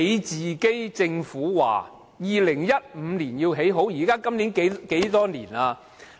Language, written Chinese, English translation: Cantonese, 政府說要2015年完成興建高鐵，今年是何年？, The Government said the construction of XRL would be completed in 2015 . What year is it now?